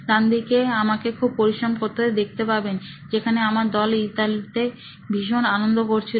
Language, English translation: Bengali, On the right hand side is me working hard, while my team was having a good time in Italy